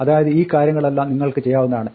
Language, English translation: Malayalam, So, all these things you can do